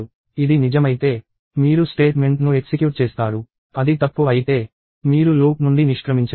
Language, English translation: Telugu, If it is true, you execute statement; if it is false, you exit the loop